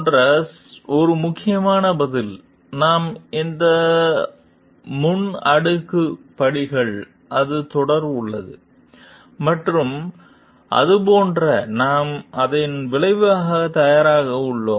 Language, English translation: Tamil, Most important answer like, before we go on for this it is a series of steps, and like are we ready for the repercussions of it